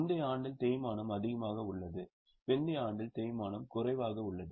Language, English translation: Tamil, In the earlier year the depreciation is higher, in the latter year the depreciation is lesser